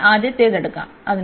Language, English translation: Malayalam, So, let us take the first one